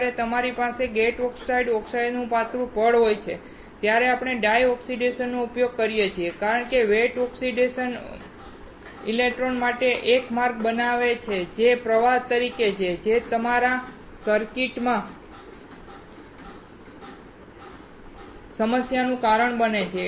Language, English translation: Gujarati, We use dry oxidation when you have gate oxides, thin layer of oxide because wet oxidation creates a path for the electron that can flow, which causes a problem in your circuit